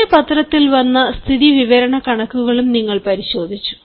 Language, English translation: Malayalam, you also looked at certain newspapers statistics